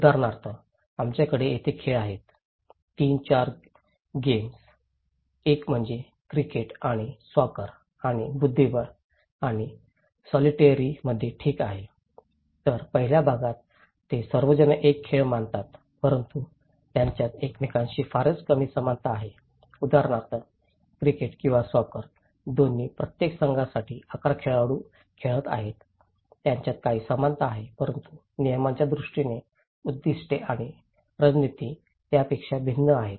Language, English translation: Marathi, For example, we have the game here; 3, 4 games, one is and the cricket and in the soccer and the chess and solitaire okay so, in the first part they all consider to be a game but they have very less similarities with each other for example, the cricket or soccers both are 11 players play for each team so, they have some similarities but from the point of rules, aims and strategies they are quite different